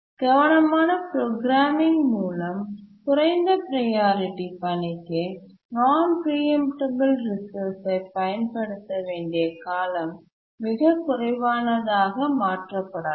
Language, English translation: Tamil, So, through careful programming, the duration for which a low priority task needs to use the non preemptible resource can be made very small